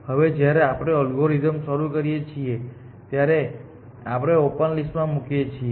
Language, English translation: Gujarati, Now when we start the algorithm we put s on to open list